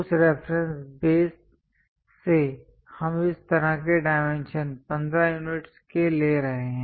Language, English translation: Hindi, From that reference base we are going to have such kind of dimension, 15 units